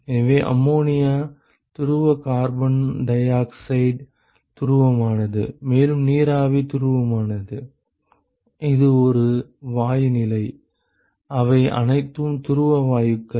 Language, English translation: Tamil, So, ammonia is polar carbon dioxide is polar, and you have water vapor is polar, it is a gaseous state they are all polar gases